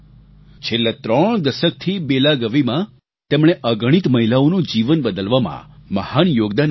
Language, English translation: Gujarati, For the past three decades, in Belagavi, she has made a great contribution towards changing the lives of countless women